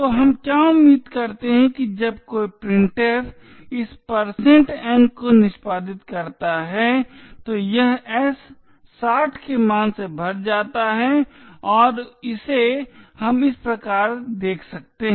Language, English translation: Hindi, So what we do expect is that when a printf executes this %n it fills in the value of s with 60 and this we can see as follows